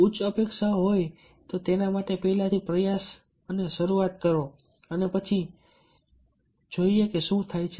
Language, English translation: Gujarati, set very high goal, have high expectation and start with the try first and then let us see what happens